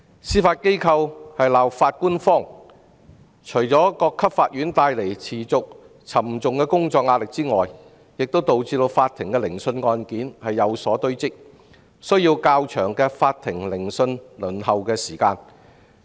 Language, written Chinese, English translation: Cantonese, 司法機構在"鬧法官荒"，不但持續加重各級法院的工作壓力，亦導致法庭的聆訊案件堆積如山，增加法庭聆訊輪候時間。, Owing to insufficient judges in the Judiciary work pressure is mounting at different court levels . Apart from that caseload is also piling up to give a longer waiting time for hearing